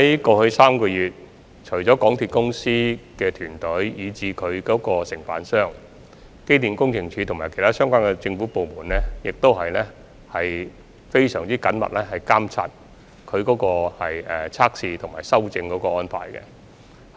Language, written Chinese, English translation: Cantonese, 過去3個月，除港鐵公司團隊及有關承辦商外，機電署及其他相關政府部門也非常緊密地監察有關測試及修正安排。, In the past three months apart from the MTRCL team and the Contractor EMSD and other government departments concerned have also monitored closely the relevant tests and rectification arrangements